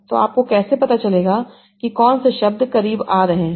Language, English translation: Hindi, So how do you find out what words are coming closer